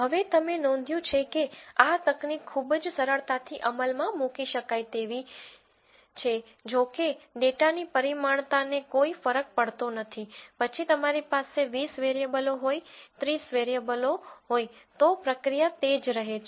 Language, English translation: Gujarati, Now, you notice this technique is very very easily implementable it does not matter the dimensionality of the data you could have 20 variables, 30 variables the procedure remains the same